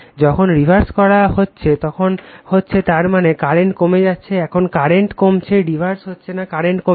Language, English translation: Bengali, When you are reversing the that means, current is decreasing now current is we are decreasing, not reversing, we are decreasing the current